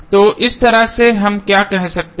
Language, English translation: Hindi, So, in that way what we can say